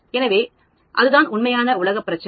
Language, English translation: Tamil, So, that is the real world problem